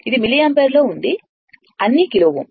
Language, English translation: Telugu, This is milliampere and all are kilo ohm